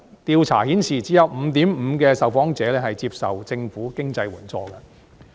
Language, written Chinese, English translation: Cantonese, 調查顯示只有 5.5% 的受訪者接受政府經濟援助。, The survey found that only 5.5 % of the respondents were recipients of government financial assistance